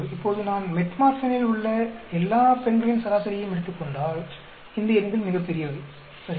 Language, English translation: Tamil, Now if I take average of all the females on Metformin, these numbers are very large, right